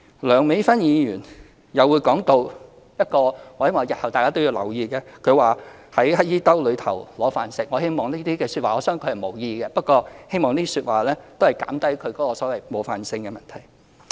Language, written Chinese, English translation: Cantonese, 梁美芬議員又談到——不過我希望日後大家都要留意——她說"在乞兒兜揦飯食"，我相信她是無意的，不過希望可以減低這些說話冒犯的問題。, Dr Priscilla LEUNG also said that―yet I hope Members will pay attention to their wording in future―it is comparable to grabbing rice from a beggars bowl . I believe she did not mean it yet I hope this kind of offensive language should be avoided